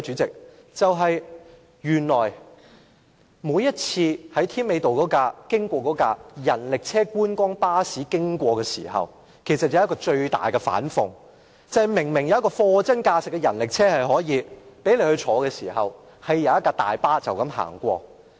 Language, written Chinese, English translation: Cantonese, 經常來回添美道的觀光巴士，其實是一個最大的反諷，明明有一輛貨真價實的人力車可以供人乘坐，卻有一輛大巴士接載遊客。, The biggest irony is that there is a sight - seeing bus frequently shuttling to and fro Tim Mei Road while genuine rickshaws are available to carry tourists but the job is done by a big bus instead